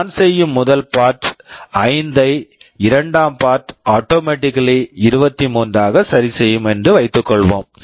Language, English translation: Tamil, Suppose the first part I make 5 the second part will automatically get adjusted to 23